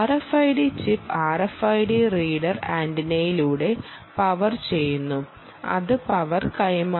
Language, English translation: Malayalam, the r f i d chip is being powered through the r f i d reader antenna